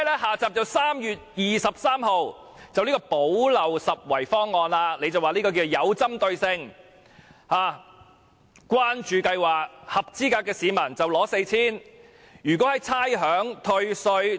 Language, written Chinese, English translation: Cantonese, "下集"是3月23日的"補漏拾遺"方案，司長說方案是具針對性的關注計劃，合資格市民可獲派 4,000 元。, Part two is the gap - plugging proposal announced on 23 March . According to the Financial Secretary the proposal is a targeted caring scheme under which an eligible person would receive 4,000